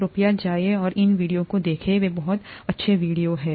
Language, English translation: Hindi, Please go and take a look at these videos, they are very nice videos